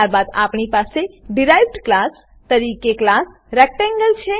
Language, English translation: Gujarati, Then we have class Rectangle as a derived class